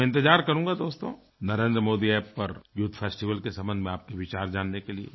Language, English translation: Hindi, So I will wait dear friends for your suggestions on the youth festival on the "Narendra Modi App"